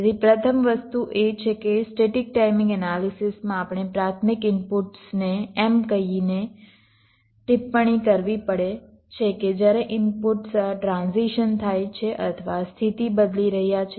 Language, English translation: Gujarati, ok, so the first thing is that in static timing analysis we have to annotate the primary inputs by saying that when the inputs are transiting or changing state